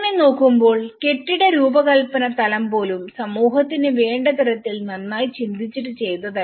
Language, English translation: Malayalam, So in that way, even the building design level has not been well thought of what the community needs